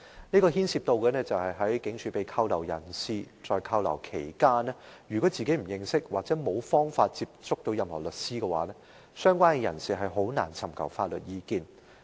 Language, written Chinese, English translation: Cantonese, 就是對於被拘留在警署的人，如果他們不認識或沒有方法接觸任何律師，他們在拘留期間便難以尋求法律意見。, This is about persons detained in police stations . If these detainees do not know or have access to any lawyers they can hardy seek legal advice during their detention